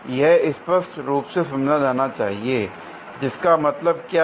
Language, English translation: Hindi, This should be understood clearly; which means what